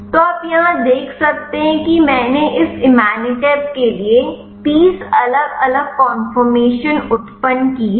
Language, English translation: Hindi, So, you can see here I have generated 30 different conformation for this imatinib